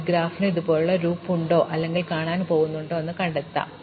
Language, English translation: Malayalam, So, whether a graph has a loop like this or we can find out whether there are vertices like this